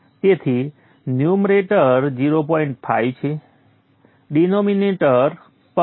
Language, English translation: Gujarati, 5 so the numerator is also 0